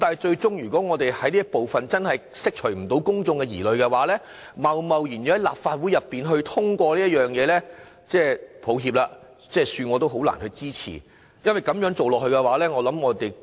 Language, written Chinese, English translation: Cantonese, 然而，如果公眾最終無法釋除對這部分的疑慮，恕我難以支持立法會貿然通過這部分的修正案，也沒有實質理據要這樣做。, However if public concern on this part of the amendments cannot be addressed I am afraid I cannot support the Legislative Council to pass these amendments . Besides there is no valid justification for me to do so